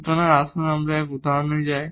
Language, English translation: Bengali, So, let us move to the example here